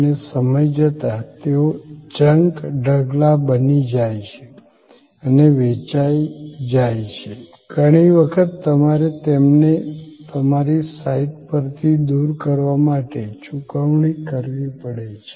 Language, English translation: Gujarati, And over time, they become a junk heap and at sold off, often you have to pay for taking them away removing from your site